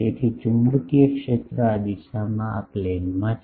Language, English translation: Gujarati, So, magnetic field is in this plane this direction